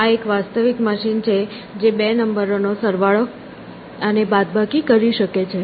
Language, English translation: Gujarati, This is a real machine which could add, subtract, and multiply, 2 numbers